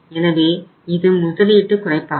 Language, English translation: Tamil, So this is the reduction in the investment